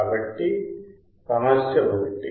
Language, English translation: Telugu, So, what is the problem 1